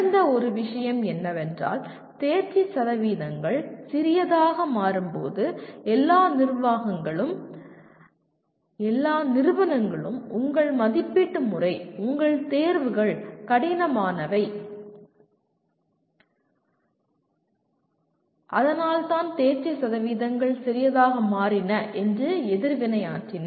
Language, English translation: Tamil, One of the things that happened is, when the pass percentages are or let us are becoming smaller and smaller, then the reaction had been of all managements and institutions saying that, that your assessment system, your examinations are tough and that is why they did not pass so you kind of water down the level of the examination